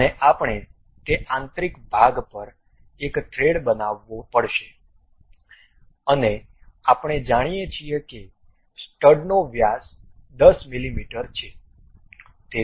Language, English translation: Gujarati, And we have to make thread over that internal portion and we know that the stud has diameter of 10 mm